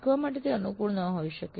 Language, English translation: Gujarati, That may not be very conducive for learning